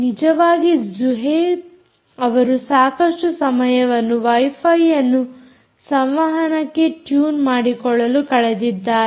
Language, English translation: Kannada, in fact, zuhaib has spent considerable time trying to tune this wifi module for communication